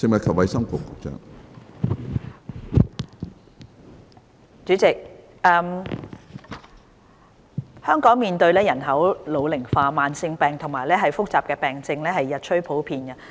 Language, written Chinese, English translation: Cantonese, 主席，香港面對人口老齡化，慢性疾病和複雜病症日趨普遍。, President Hong Kong is facing an ageing population and rising prevalence of chronic and complicated diseases